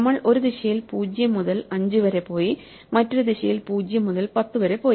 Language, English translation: Malayalam, We have to go from 0 to 5 in one direction and 0 to 10 in the other direction